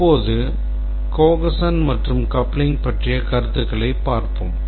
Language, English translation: Tamil, Now let's see the concepts of cohesion and coupling